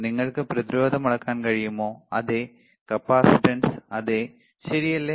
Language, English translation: Malayalam, Can you measure resistance, yes capacitance yes, right